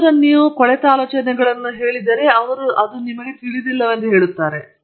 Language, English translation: Kannada, Then if you say some rotten ideas, they will say don’t you even know this